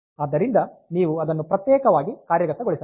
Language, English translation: Kannada, So, you have to use you have to implement it separately